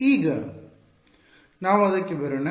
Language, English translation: Kannada, Now, let us come to that